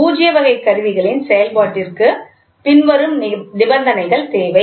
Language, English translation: Tamil, For the operation of the null type instruments, the following conditions are required